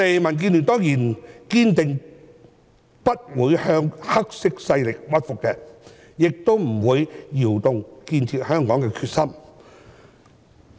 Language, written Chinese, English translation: Cantonese, 民建聯當然堅定不會向"黑色勢力"屈服，亦不會動搖建設香港的決心。, DAB will definitely not succumb to such black forces and neither will its determination to build Hong Kong be shaken